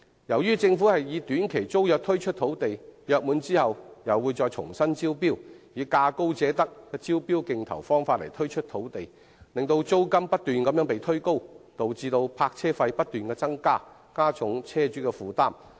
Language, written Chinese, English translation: Cantonese, 由於政府是以短期租約方式推出土地，約滿後又會重新招標，並以價高者得的招標競投方法推出土地，所以租金不斷被推高，導致泊車費亦不斷增加，進一步加重車主的負擔。, Since the Government is renting these sites under short - term tenancies and will invite tenders afresh upon the expiry of a tenancy and grant it to the highest bidder rent has been pushed up continuously resulting in higher parking fees which will in turn increase the burden of vehicle owners